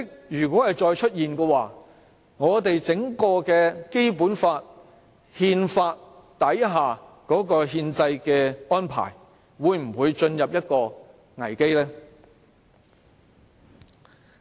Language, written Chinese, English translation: Cantonese, 如果再出現這種情況，我們的《基本法》和憲法底下的憲制安排會否陷入危機？, If yes will this plunge the Basic Law and our constitutional arrangements into a crisis?